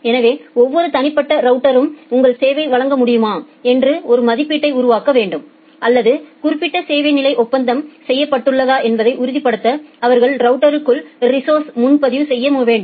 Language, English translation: Tamil, So, every individual router need to make an estimate whether it will be able to provide your service or they need to do a prereservation of resources inside the routers, to ensure that that specific service level agreement is made